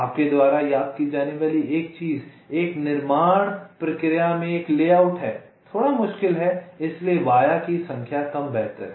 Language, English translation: Hindi, one thing you remember: having a via is a layout in a fabrication process is a little difficult, so less the number of vias the better